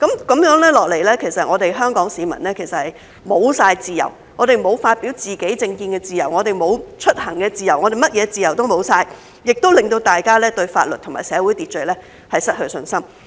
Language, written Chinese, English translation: Cantonese, 這樣下去，香港市民便完全沒有自由，沒有發表自己政見的自由，沒有出行的自由，甚麼自由都沒有了，也令到大家對法律和社會秩序失去信心。, Those who are being doxxed are threatened and scared and thus dare not speak out . If this goes on Hong Kong people will completely be devoid of freedom . They will have no freedom to express their political views no freedom to travel no freedom at all and they will lose confidence in law and social order